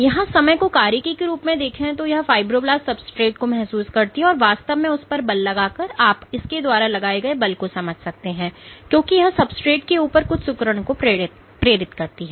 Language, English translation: Hindi, So, what you see as a function of time this fibroblast is sensing the substrate by actually pulling on it, you can understand it pulls on it because it induces wrinkles on the substrate